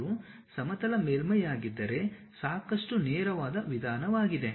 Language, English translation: Kannada, If it is plane surface it is pretty straight forward approach